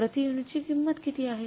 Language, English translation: Marathi, Standard price per unit is how much